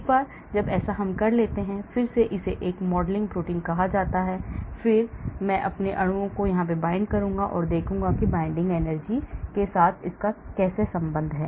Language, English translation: Hindi, Once I do that then again this is called a modelled protein, then I will bind my molecules and then see how the binding energy correlates with the activity